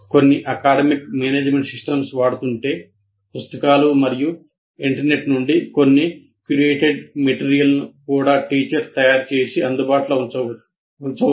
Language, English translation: Telugu, And these days if you are using some academic management system, some curated material both from books and internet can also be prepared by teacher and made available